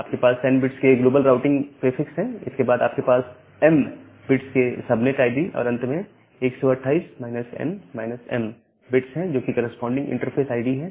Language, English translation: Hindi, You have a global routing prefix which is of n bits and then you have a subnet id of m bits and finally, 128 minus m minus m bits which are the corresponding interface id